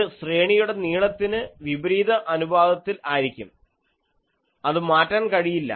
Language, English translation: Malayalam, This is inversely proportional to the array length in that axis